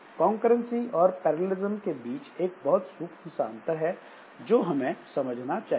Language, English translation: Hindi, So, there is a slight difference between this concurrency and parallelism that we must understand